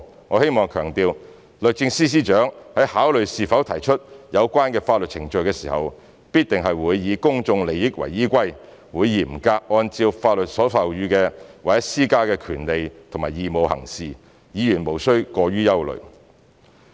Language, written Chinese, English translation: Cantonese, 我希望強調，律政司司長在考慮是否提出有關的法律程序時，必定是以公眾利益為依歸，會嚴格按照法律所授予或施加的權利和義務行事，議員無須過於憂慮。, I would like to emphasize that when considering whether the relevant legal proceedings should be brought SJ must have full regard to public interest strictly abide by the rights and obligations granted or imposed by the law and take timely legal actions against the persons concerned . Hence Members need not worry too much